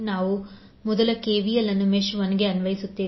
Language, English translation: Kannada, So we will apply KVL first to mesh 1